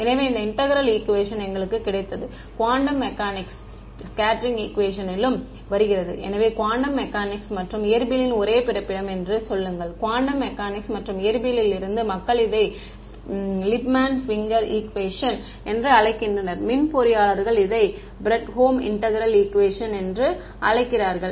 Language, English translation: Tamil, So, this integral equation that we got comes in quantum mechanics scattering equations also; so, say this is the same Born from quantum mechanics and the physics people call it Lippmann Schwinger equation and electrical engineers call it Fredholm integral equation this is the same thing